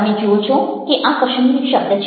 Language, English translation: Gujarati, you see that there is a word: kashmir there is